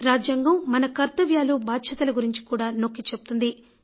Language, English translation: Telugu, But constitution equally emphasizes on duty also